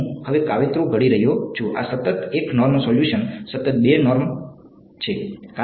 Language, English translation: Gujarati, I am plotting now these are constant 1 norm solution constant 1 norm